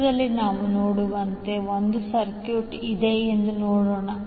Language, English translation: Kannada, Let us see there is one circuit as we see in the figure